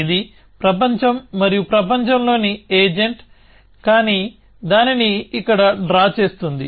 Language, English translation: Telugu, So, this is world and the agent inside the world, but will draw it here